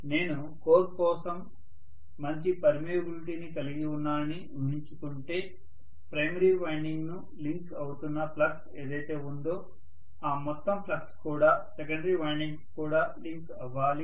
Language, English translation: Telugu, Assuming that I am going to have a good amount of permeability for the core whatever is the flux that is linking the primary winding the entire flux should also link the secondary rewinding